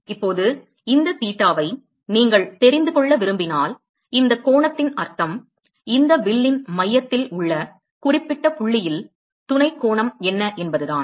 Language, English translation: Tamil, Now, if you want to know this theta, the meaning of this angle is the what is the angle that is “subtended” to by this arc to that particular point to the center right